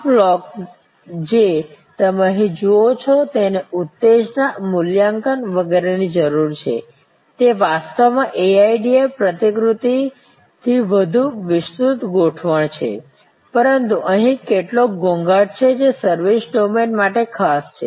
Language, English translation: Gujarati, This block that you see here need arousal, evaluation, etc, it is actually a more expanded format of the AIDA model, but there are some nuances here which are particular to the services domain